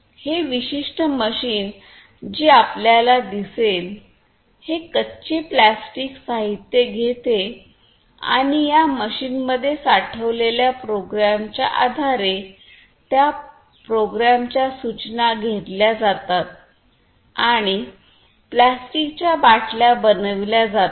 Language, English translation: Marathi, And this particular machine as you will see what it does is it takes the raw plastic materials and based on the program that is stored in this machine basically then that program the instructions are taken and the, the plastic bottles are made